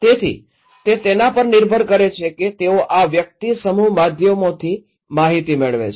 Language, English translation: Gujarati, So, it depends that if this person is getting informations from the mass media